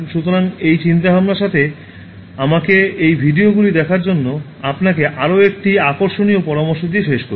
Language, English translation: Bengali, So, with this thought, let me conclude this with another interesting suggestion to you to watch these videos